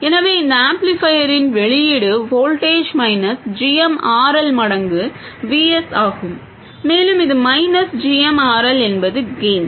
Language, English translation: Tamil, So, the output voltage of this amplifier is minus GMRL times VS and this minus GMRL is the gain